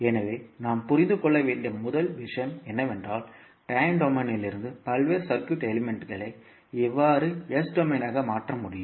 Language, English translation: Tamil, So, first thing which we have to understand is that how we can convert the various circuit elements from time domain into s domain